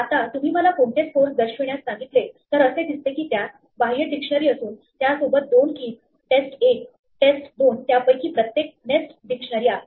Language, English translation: Marathi, Now, if you ask me to show what scores looks like, we see that it has an outer dictionary with two keys test 1, test 2 each of which is a nested dictionary